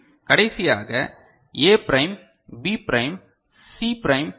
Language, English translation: Tamil, And the last one A prime, B prime, C prime D